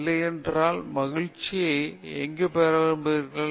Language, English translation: Tamil, where do you want to get happiness from otherwise